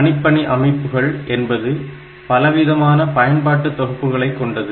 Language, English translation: Tamil, Now, computing systems it ranges over a wide range a wide set of applications